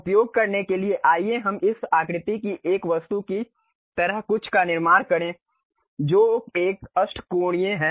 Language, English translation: Hindi, To use that let us construct something like an object of this shape which is octagon